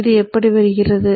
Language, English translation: Tamil, How does this come about